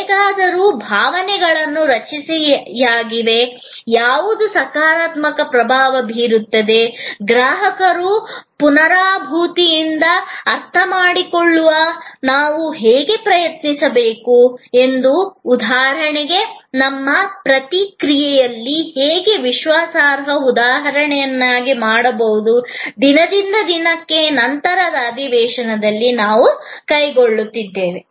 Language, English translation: Kannada, However, emotions are structured, what creates a positive impression, how do we strive to understand the customer with empathy, how our response can be made reliable instance after instance, day after day, a topic that we will take up over the subsequent sessions